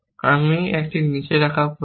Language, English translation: Bengali, I need put down a